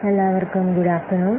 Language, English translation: Malayalam, Good afternoon to all of you